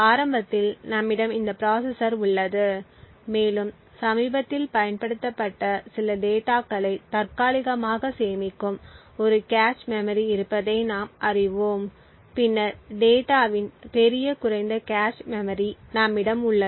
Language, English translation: Tamil, So initially we have this processor and as we know that there is a cache memory which caches some of the recently used data and then we have the large lower cache memory of the data